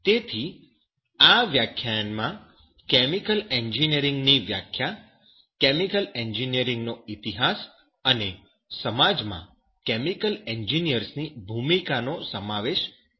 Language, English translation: Gujarati, So it will include the definition of chemical engineering, history of chemical engineering, and the role of chemical engineers in society